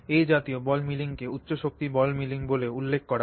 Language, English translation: Bengali, This kind of ball milling is also referred to as high energy ball milling